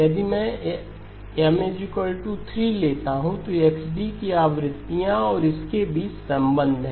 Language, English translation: Hindi, If I take M equal to 3, then the relationship between the frequencies of the XD and this one are